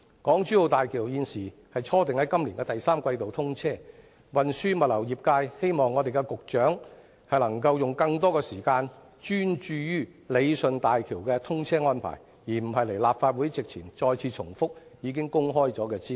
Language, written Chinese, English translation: Cantonese, 港珠澳大橋現時初訂於今年第三季通車，運輸物流業界希望局長能夠用更多時間專注於理順大橋的通車安排，而不是到立法會席前重複已經公開的資料。, As HZMB is now scheduled to be commissioned in March this year the transport and logistics sector hopes the Secretary can use more time in and focus on improving the arrangements for the commissioning of HZMB instead of attending before the Council to repeat information already released